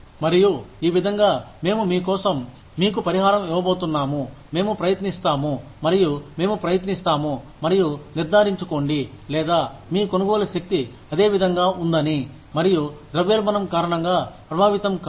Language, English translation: Telugu, And, this is how, we are going to compensate you for your, we will try, and we will try and make sure, or, we will we will try our best, to ensure that, your purchasing power remains similar